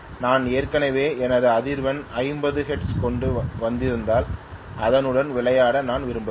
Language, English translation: Tamil, If I have already brought up my frequency to 50 hertz, I would not like to play around with it